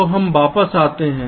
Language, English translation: Hindi, so now we have a